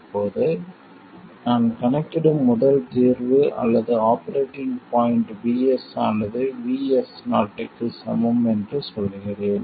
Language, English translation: Tamil, Now, let me say that the first solution or the operating point that I calculate is for Vs equals Vs 0